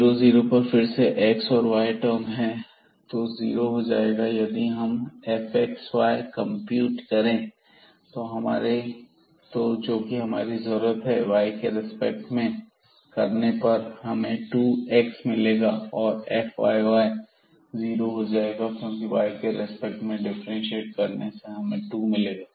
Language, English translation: Hindi, And at 0 0 points, so again here we have the x and y term, so this will become 0 and if we compute here f xy which also needed, so with respect to y here we will get 2 x term and then f yy we will get 2 because here when we differentiate with respect to y we will get 2 there